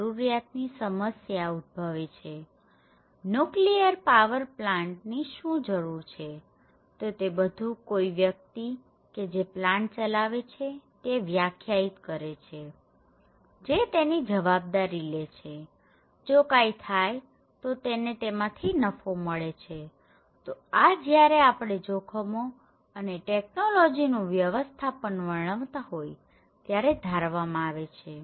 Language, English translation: Gujarati, So, that’s how the problem of the need for the plant, why it is necessary to have a nuclear power plant, so that should be defined and agreed among the parties and who pass for the plant, who will take the liability of it, if something happened, who will be benefited out of it and who will take the benefit of it so, these should be considered when we are defining the risk and the management of the technology